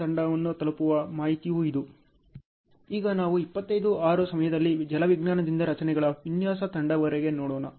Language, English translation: Kannada, Now let us stay see, from hydrology to structures design team at the time 25 6